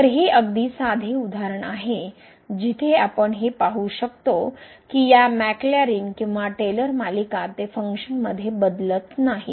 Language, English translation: Marathi, So, it is very simple example where we can see that these Maclaurin or Taylor series they do not converge to the function